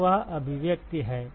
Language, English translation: Hindi, So, that is the expression